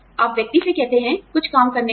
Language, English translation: Hindi, You tell the person, to do some work